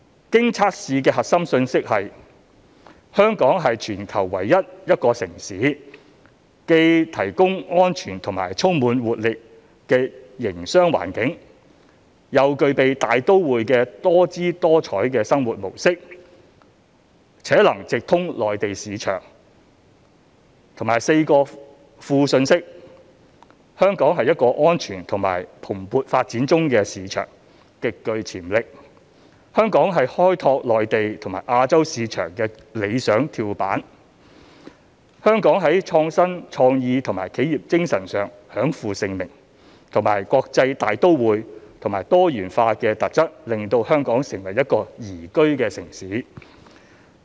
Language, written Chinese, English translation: Cantonese, 經測試的核心信息是"香港是全球唯一一個城市，既提供安全及充滿活力的營商環境、又具備大都會的多姿多采生活模式，且能直通內地市場"，以及4個副信息："香港是一個安全及蓬勃發展中的市場，極具潛力"、"香港是開拓內地及亞洲市場的理想跳板"、"香港在創新、創意及企業精神上享負盛名"及"國際大都會和多元化的特質令香港成為一個宜居城市"。, The tested core message was Hong Kong is the only city in the world that offers a secure dynamic environment for business an exciting cosmopolitan lifestyle and direct access to the Mainland market . The four supporting messages tested were Hong Kong is a safe growing market with considerable potential; Hong Kong is the ideal springboard to the Mainland and Asian markets; Hong Kong has a reputation for innovation creativity and entrepreneurial spirit; and Hong Kongs cosmopolitan character and cultural richness makes it a great place to live in